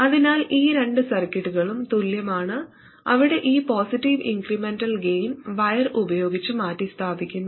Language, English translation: Malayalam, So these two circuits are the same where this positive incremental gain is simply replaced by the wire